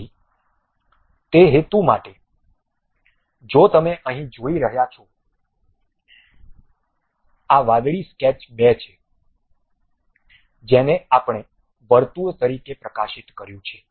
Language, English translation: Gujarati, So, for that purpose if you are looking here; the blue one is sketch 2, which we have highlighted as circle